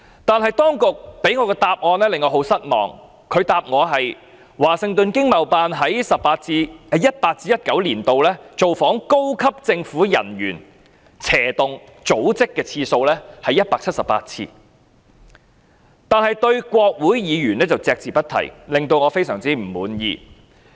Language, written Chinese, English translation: Cantonese, 但當局向我作出的答覆令我感到很失望，他們答覆，華盛頓經貿辦在 2018-2019 年度造訪高級政府人員/組織的次數是178次，但對於國會議員卻隻字不提，令我非常不滿意。, The authorities reply is very disappointing . According to the reply the Washington ETO only made 178 calls on senior government officialsorganizations in 2018 - 2019 but the reply does not mention anything about the number of calls on Congressmen . I am very dissatisfied with the reply